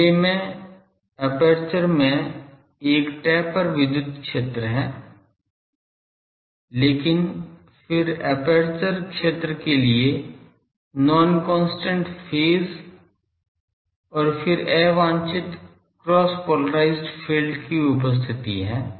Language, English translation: Hindi, The loss in gain due to first I have a tapered electric field in the aperture, then non constant phase for aperture field and then presence of unwanted cross polarised field ok